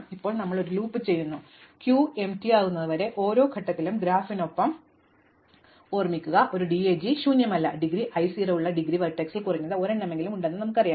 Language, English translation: Malayalam, And now we do this loop, till the queue becomes empty we know there is at least one at every point remember as long as the graph the DAG is not an empty, we know there is at least one indegree vertex with indegree 0